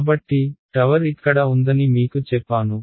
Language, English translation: Telugu, So, I have told you that tower is here